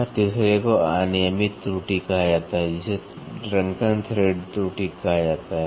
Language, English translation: Hindi, And the third one is called as irregular errors which is called as drunken thread error